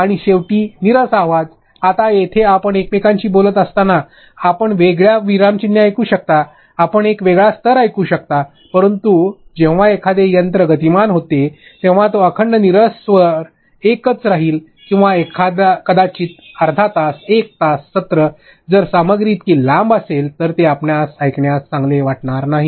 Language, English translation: Marathi, And lastly monotonous voice, now here when you are speaking to each other, at least you can hear a different punctuation, can you hear a different tone, but when a machine speeds it will be monotone one tone continuous throughout for or maybe half an hour 1 hour session if the content is that long that is not cool for you have learner to hear